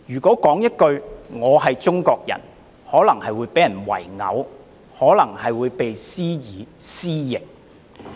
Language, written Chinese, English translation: Cantonese, 說句"我是中國人"也可能被人圍毆，施以"私刑"......, One may be beaten up and lynched by a crowd simply for saying I am Chinese